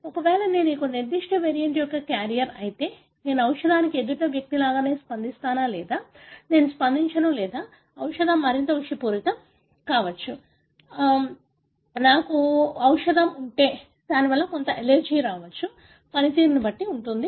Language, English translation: Telugu, Whether, if I am a carrier of a particular variant, then would I respond to the drug the same way as the other person or would I not respond or the drug may be more toxic, if I have the drug it has some allergic function